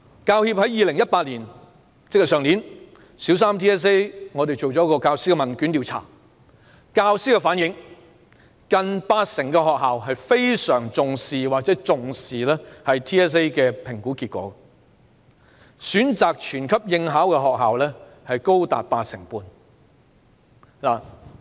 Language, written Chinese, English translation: Cantonese, 教協於去年曾就小三 BCA 向教師進行了問券調查，根據教師回應，近八成學校非常重視或重視 BCA 的評估結果，而選擇全級應考的學校，高達八成半。, The Hong Kong Professional Teachers Union conducted a questionnaire survey last year ie . 2018 . As the teachers responded nearly 80 % of schools either put great emphasis on or emphasize the assessment results of BCA and schools having opted to arrange for the whole grade to sit for the assessment account for as high as 85 %